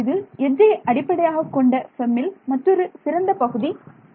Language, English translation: Tamil, So, that is another nice part about the edge base FEM that I got straight away this thing